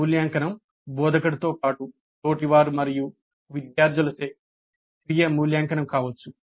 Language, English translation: Telugu, The evaluation can be self evaluation by the instructor as well as by peers and students